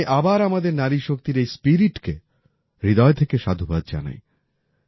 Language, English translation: Bengali, I once again appreciate this spirit of our woman power, from the core of my heart